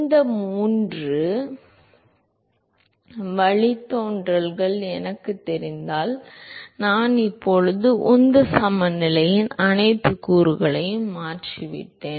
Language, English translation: Tamil, If I know these three derivatives I am now transformed all the all the all the components of the momentum balance ok